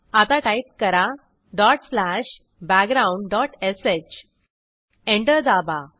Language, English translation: Marathi, Now type dot slash background dot sh Press Enter